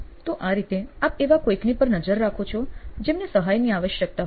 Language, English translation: Gujarati, So this way you are actually tracking somebody who needs help